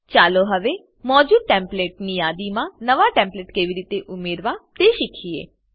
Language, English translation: Gujarati, Now lets learn to add a New template to the existing Template list